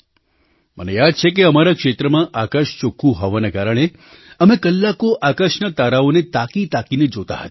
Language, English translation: Gujarati, I remember that due to the clear skies in our region, we used to gaze at the stars in the sky for hours together